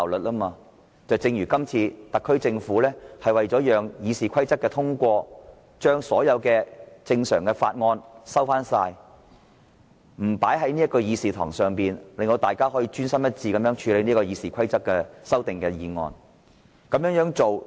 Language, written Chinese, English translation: Cantonese, 舉例來說，今次特區政府為了讓《議事規則》的修訂建議獲得通過，便把所有正常法案撤回，不列入議程，讓立法會可專心一致處理修訂《議事規則》的擬議決議案。, For example in order to facilitate the passage of proposals to amend RoP the SAR Government has withdrawn all normal bills from the agenda so that the Legislative Council can focus on handling the proposed resolutions to amend RoP